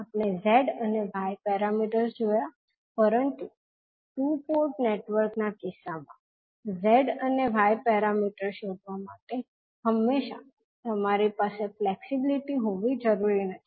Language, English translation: Gujarati, So we have seen z and y parameters, but in case of two Port network it is not necessary that you will always have a flexibility to find out the z and y parameters